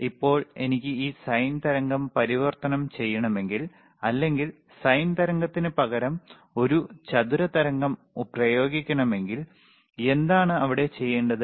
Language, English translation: Malayalam, Now if I want to convert this sine wave, or if I want to apply a square wave instead of sine wave, then what is there